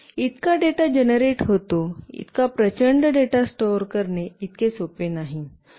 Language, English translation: Marathi, So much data gets generated, it is not very easy to store that huge amount of data